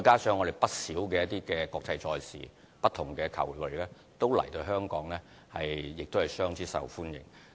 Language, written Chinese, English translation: Cantonese, 此外，不少國際賽事，包括不同的球類項目均來香港作賽，亦相當受歡迎。, Besides Hong Kong has been hosting some international sports events including various ball games which are all very popular